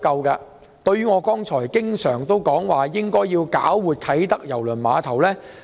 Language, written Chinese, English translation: Cantonese, 正如我經常說，政府應搞活啟德郵輪碼頭。, As I often say the Government should invigorate KTCT